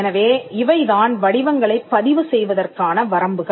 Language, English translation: Tamil, So, these are limits to the registration of shapes